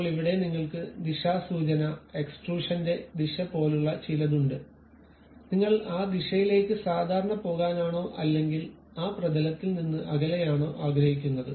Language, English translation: Malayalam, Now, here you have something like Directional sense, Direction of Extrusion whether you would like to go normal to that direction or away from that plane